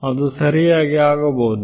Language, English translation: Kannada, It could happen right